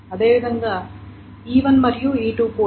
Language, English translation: Telugu, And similarly E1 and E2 can have